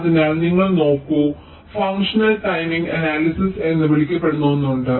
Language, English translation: Malayalam, so just, you look at there is something called functional timing analysis